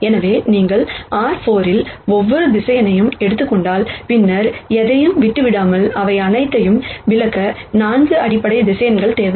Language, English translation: Tamil, So, if you take every vector in R 4, without leaving out anything then, you would need 4 basis vectors to explain all of them